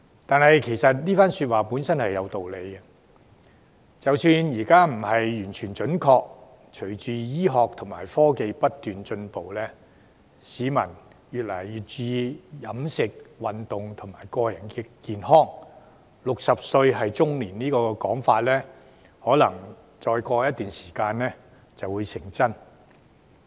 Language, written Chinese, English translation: Cantonese, 但是，這番說話本身是有道理的，即使現在不完全準確，隨着醫學和科技不斷進步，市民越來越注重飲食、運動和個人健康 ，"60 歲是中年"這個說法，可能再過一段時間就會成真。, However the remark per se actually makes sense . Even if it is not entirely accurate now the idea that 60 years is middle age may come true after some time with the constant advancement of medicine and technology and peoples increasing emphasis on diet exercise and personal health